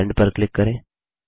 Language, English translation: Hindi, Click Cancel Sending